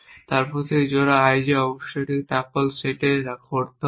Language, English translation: Bengali, Then that pair i j must occur in set of topples here then that essentially